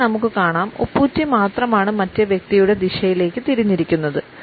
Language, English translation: Malayalam, In B we find that it is the sole of the foot which is moved in the direction of the other person